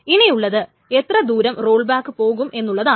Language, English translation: Malayalam, The next question comes is how far to roll back